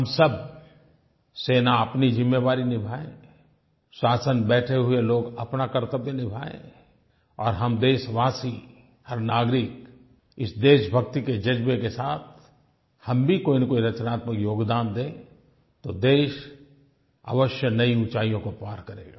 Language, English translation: Hindi, Now, if all of us, that is, our armed forces, people in the government, fulfill our respective responsibilities sincerely, and all of us countrymen, each citizen make some constructive contribution imbued with the feeling of patriotism, our country will most definitely scale greater heights